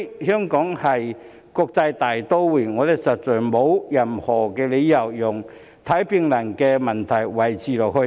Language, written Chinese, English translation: Cantonese, 香港是國際大都會，我們實在沒有任何理由讓看病難的問題持續下去。, Hong Kong is an international metropolis and we really have no reason to allow such problems to persist